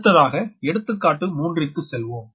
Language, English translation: Tamil, next you come to another example, example three